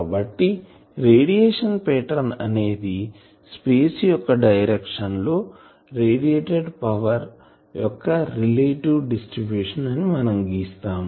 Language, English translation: Telugu, So, radiation pattern is plot of relative distribution of radiated power as a function of direction in space ok